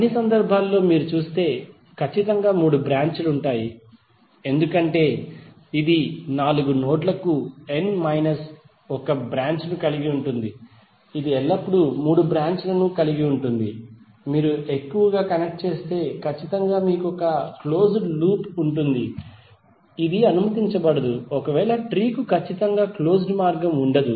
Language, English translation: Telugu, In all the cases if you see there would be precisely three branches because it will contain n minus one branch for four nodes it will always have three branches, if you connect more, then definitely you will have one closed loop which is not allowed in this case so tree will have precisely no closed path